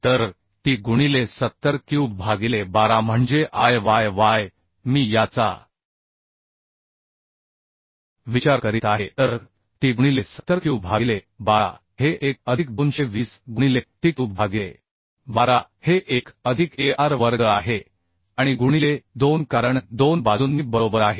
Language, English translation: Marathi, So t into 70 cube by 12 that is Iyy and constant is so t into 70 cube by 12 this one plus 220 into t cube by 12 is this one plus ar square and into 2 because in two sides right